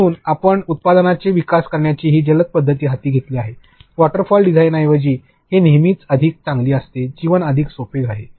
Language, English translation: Marathi, So, we undertake this agile method of developing products, instead of a waterfall design this is always much more better; life is way more simpler